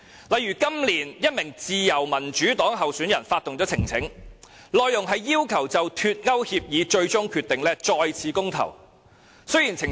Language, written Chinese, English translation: Cantonese, 例如，今年1名自由民主黨候選人發動了呈請書，內容是要求就脫歐協議最終決定再次公投。, For example this year a Liberal Democrat candidate initiated a petition calling for a second referendum on the final agreement for the United Kingdom to leave the European Union